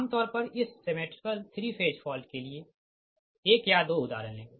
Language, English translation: Hindi, right, now, generally, this symmetrical three phase fault will take one or two example